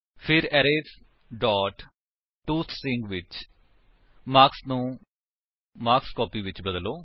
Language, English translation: Punjabi, Then, in arrays dot toString, change marks to marksCopy